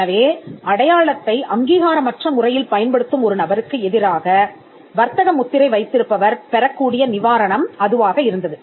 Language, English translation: Tamil, So, injunction was the relief a trademark holder could get against a person who was unauthorizedly using the mark